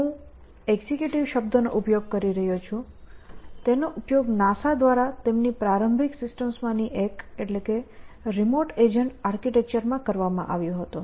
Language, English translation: Gujarati, So, I using the term executive, it was used by NASA in one of their early systems, the remote agent architecture